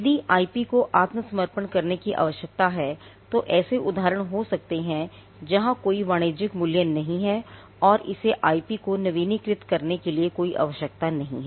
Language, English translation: Hindi, If the IP needs to be surrendered there could be instances where there is no commercial worth and there is no need to keep it keep renewing the IP